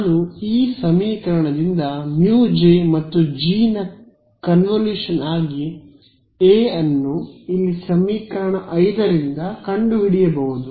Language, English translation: Kannada, I can find out A as the convolution of mu J and G from this equation over here equation 5 right